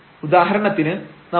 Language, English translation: Malayalam, For example, we take h is equal to 0